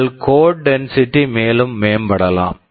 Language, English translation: Tamil, Yyour code density can further improve right